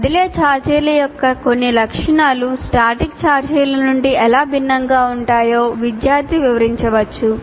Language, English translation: Telugu, So he can relate that how these some properties of moving charges differ from static charges